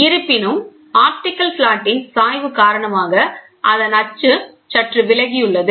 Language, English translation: Tamil, But however, the axis is slightly deviated due to the inclination of the optical flat